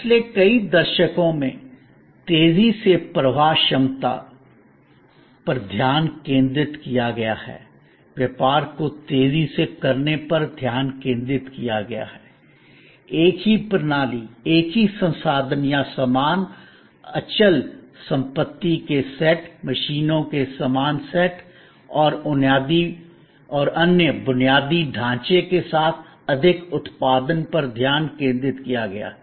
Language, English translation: Hindi, Over last several decades, the focus has been on faster through put, focus has been on accelerating the business, focus has been on producing more with the same system, same set of resources or the same fixed assets setup, the same sets of machines and other infrastructure